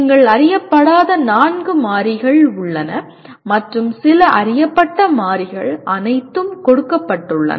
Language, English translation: Tamil, As you can see there are four unknown variables and some known variables are all given